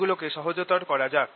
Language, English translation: Bengali, let us simplify them